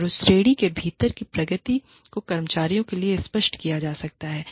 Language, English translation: Hindi, And, the progression, within that category, can be made clear, to the employees